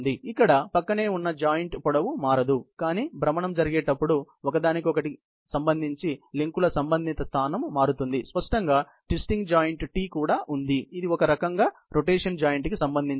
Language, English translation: Telugu, Here, the lengths of the adjoining points do not change, but the related position of the links, with respect to one another change, as the rotation take place; obviously, there is also twisting joint T, which is also the rotational sort of a joint